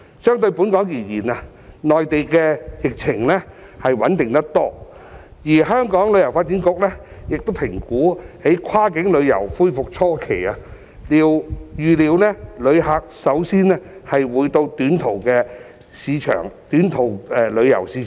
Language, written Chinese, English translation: Cantonese, 相對本港而言，內地的疫情穩定得多，而香港旅遊發展局評估在跨境旅遊恢復初期，預料旅客首先會到短途的市場旅遊。, The epidemic on the Mainland is much more stable as compared to the case of Hong Kong . According to the assessment of the Hong Kong Tourism Board HKTB it is expected that tourists will first visit short - haul markets at the initial restoration of cross - boundary tourism